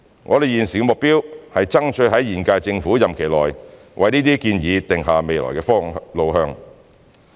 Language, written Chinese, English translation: Cantonese, 我們現時的目標是爭取在現屆政府任期內為這些建議定下未來路向。, Our goal at the moment is to strive for mapping out the way forward for those proposals within the current term of the Government